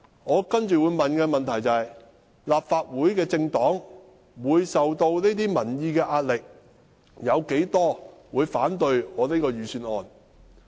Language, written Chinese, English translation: Cantonese, 我接着會問：立法會的政黨會受到民意的壓力，有多少議員會反對我這份預算案呢？, Then I would ask How many Legislative Council Members will oppose the Budget when their political parties are under the pressure of public opinion?